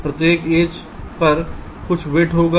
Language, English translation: Hindi, ok, each edge will be having some weight